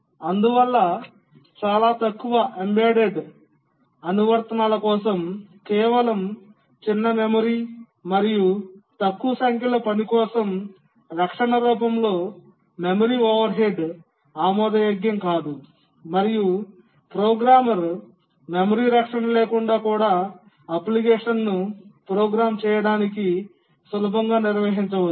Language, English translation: Telugu, So for very small embedded applications with just a small memory and a small number of tasks, memory overhead in the form of protection becomes unavoidable, sorry, unacceptable and the programmer can easily manage to program the application even without memory protection